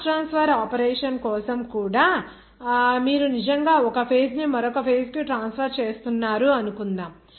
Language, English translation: Telugu, Even for mass transfer operation, suppose if you are actually transferring one phases to another phase